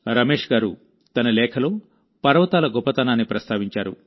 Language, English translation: Telugu, Ramesh ji has enumerated many specialities of the hills in his letter